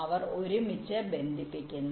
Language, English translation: Malayalam, they connected right now